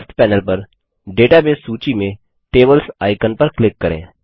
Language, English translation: Hindi, Let us click on the Tables icon in the Database list on the left panel